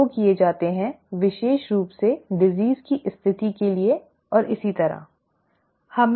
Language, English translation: Hindi, These 2 are done, especially for disease kind of a situation and so on, okay